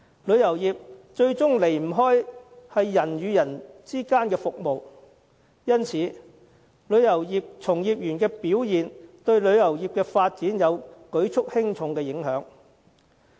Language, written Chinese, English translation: Cantonese, 旅遊業始終關乎人與人之間的服務，因此旅遊業從業員的表現對旅遊業的發展，有着舉足輕重的影響。, Tourism is after all a kind of interpersonal service . Thus the performance of practitioners is crucial to the development of the industry